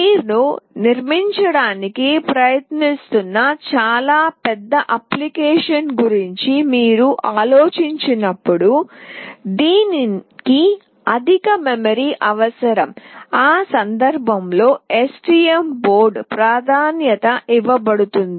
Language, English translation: Telugu, But when you think of a very huge application that you are trying to build, which requires higher memory, in that case STM board will be preferred